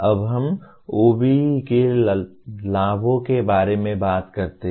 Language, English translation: Hindi, Now, let us talk about advantages of OBE